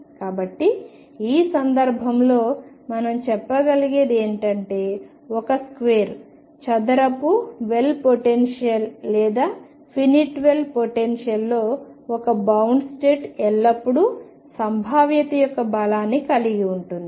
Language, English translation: Telugu, So, in this case what we can say is that in a square well potential or finite will potential, one bound state is always there has the strength of the potential